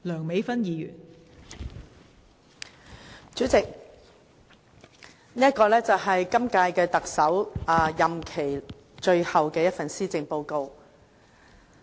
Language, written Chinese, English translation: Cantonese, 代理主席，這是本屆特首任內最後一份施政報告。, Deputy President this is the Chief Executives last Policy Address